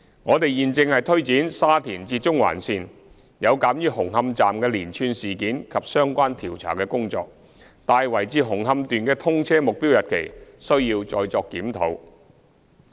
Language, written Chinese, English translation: Cantonese, 我們現正推展沙田至中環線，有鑒於紅磡站的連串事件及相關調查工作，大圍至紅磡段的通車目標日期需要再作檢討。, We are now taking forward the Shatin to Central Link . Due to the series of incidents relating to Hung Hom Station and the relevant investigations the target commissioning date of the Tai Wai to Hung Hom Section will need to be further reviewed